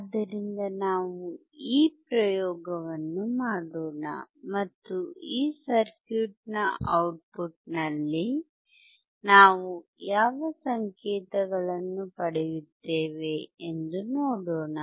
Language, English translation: Kannada, So, let us do this experiment, and see what signals we see at the output of this circuit